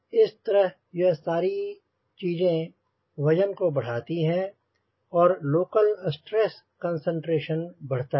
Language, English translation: Hindi, so all this thing will again go on adding the weight and local stress concentration will happen